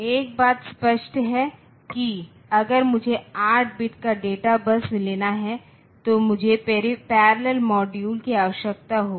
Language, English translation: Hindi, So, one thing is obvious that if I have to k 2 a data bus of 8 bit then I need to such parallel modules